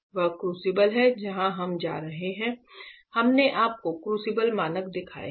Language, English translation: Hindi, This is the crucible where we are going we have shown you the crucible standard crucibles